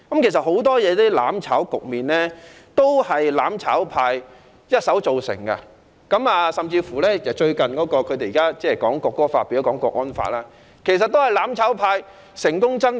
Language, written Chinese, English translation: Cantonese, 其實，很多"攬炒"局面都是"攬炒派"一手造成，甚至現時港區國安法也是"攬炒派"成功爭取。, In fact many cases involving mutual destruction can be directly attributed to the mutual destruction camp . The mutual destruction camp has even succeeded in striving for the national security law in Hong Kong